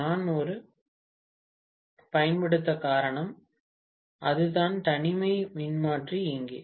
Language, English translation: Tamil, That is the reason why we use an isolation transformer here